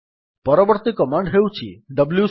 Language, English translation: Odia, The next command we will see is the wc command